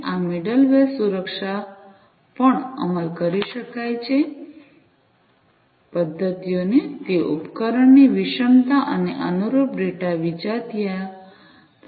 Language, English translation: Gujarati, This middleware could also implement security mechanisms; it could also handle device heterogeneity and correspondingly data heterogeneity